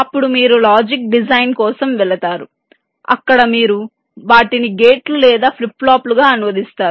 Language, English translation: Telugu, then you go for logic design, where you would translate them into gates or flip flops